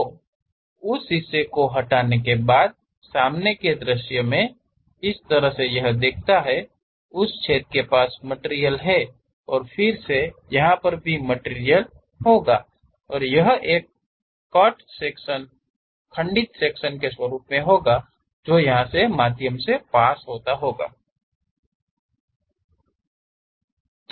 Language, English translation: Hindi, So, in the front view after removing that part; the way how it looks like is near that hole we will be having material and again here, and there is a cut section happen through broken kind of part